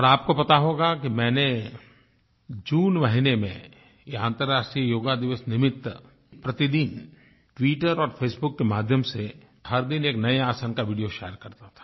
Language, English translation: Hindi, And you probably know that, during the month of June, in view of the International Yoga Day, I used to share a video everyday of one particular asana of Yoga through Twitter and Face Book